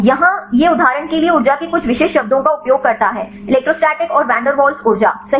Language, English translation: Hindi, Here it use only some specific terms of energies for example, electrostatic and the Van Der Waals energies right